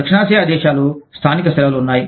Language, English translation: Telugu, South Asian countries, there are local holidays